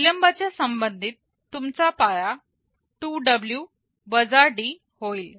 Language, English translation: Marathi, For the delayed case your base becomes 2W D